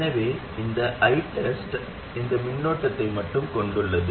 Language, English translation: Tamil, So this I test, it consists of only this current